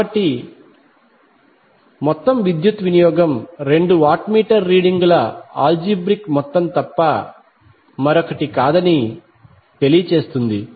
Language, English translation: Telugu, So the total power will be equal to the algebraic sum of two watt meter readings